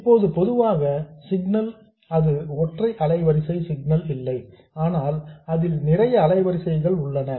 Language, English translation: Tamil, Now in general the signal is not a single frequency signal but it contains a lot of frequencies